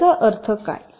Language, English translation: Marathi, what does this mean